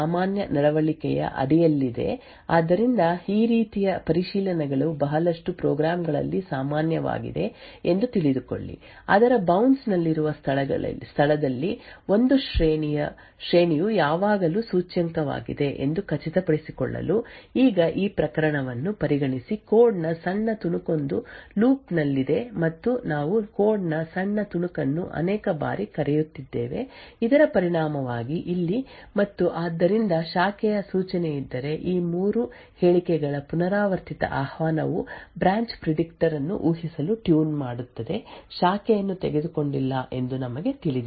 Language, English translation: Kannada, Now this is under the normal behavior when X is indeed less than array len so know that these kind of checks is quite common in lot of programs to ensure that an array is always indexed at the location which is within it's bounce now consider the case that these small snippet of code is in a loop and we are calling the small snippet of code multiple times so as a result we know that if over here and therefore there's a branch instruction this repeated invocation of these 3 statements would actually tune the branch predictor to predict that the branch is not taken